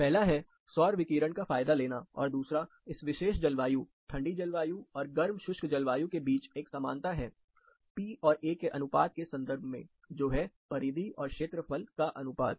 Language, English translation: Hindi, Number two, there is a resemblance between this particular climate cold climate, and the hot dry climate, in terms of the P by A, that’s perimeter to area ratio